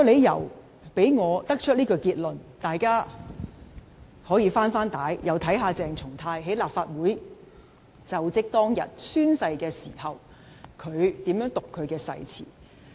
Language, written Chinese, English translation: Cantonese, 讓我得出這個結論的第二個理由是，大家可以"回帶"，重溫鄭松泰在立法會宣誓就職當日是如何讀出其誓詞。, Allow me to present the second reason for drawing such a conclusion . Honourable colleagues can rewind the tape to revisit how CHENG Chung - tai read out this oath on the day of oath - taking to assume office as a Member of the Legislative Council